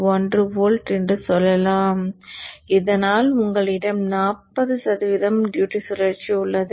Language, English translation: Tamil, 1 volt so that you have some 40% or 40% duty cycle